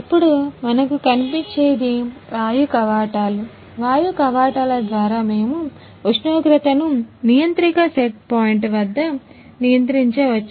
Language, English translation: Telugu, Now, this is a pneumatic valves by means of pneumatic valves, we can control the temperatures according to set point at controller